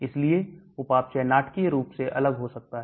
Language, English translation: Hindi, So metabolism can be dramatically different